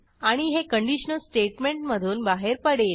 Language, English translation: Marathi, And it will exit the conditional statement